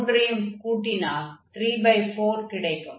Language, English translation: Tamil, So, if we add the 3, we will get this 3 by 4